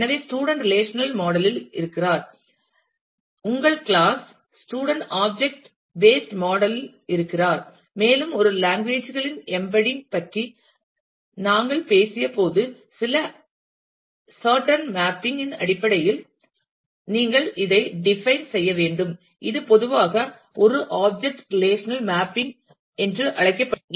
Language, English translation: Tamil, So, the relation student is in the relational model, and your class student is in the object based model, and you will need to define these in terms of certain mapping of the attributes, which we had shown when we talked about embedding of a languages, and this is what is commonly known as a object relational mapping